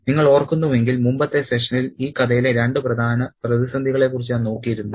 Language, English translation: Malayalam, Now, if you remember in the previous section I had a look at the two major crisis in the story